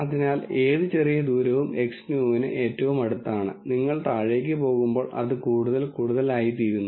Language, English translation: Malayalam, So, any small distance is the closest to X new and as you go down it is further and further